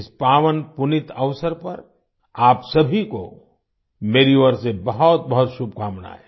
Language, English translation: Hindi, My best wishes to all of you on this auspicious occasion